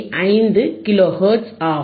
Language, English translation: Tamil, 5 kilo hertz, alright